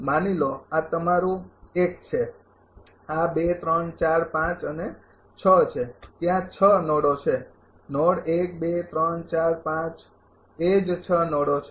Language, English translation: Gujarati, Suppose, this is your 1 this is 2, 3, 4, 5 and 6 there are 6 node 1, 2, 3, 4, 5 the same 6 nodes are there